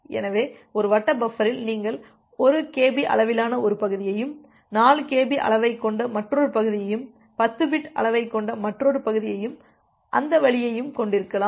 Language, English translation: Tamil, So, in a circular buffer you can have one segment of say 1 kb size, another segment of having 4 kb size, another segment of having 10 bit size and that way